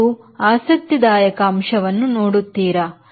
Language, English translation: Kannada, this is interesting point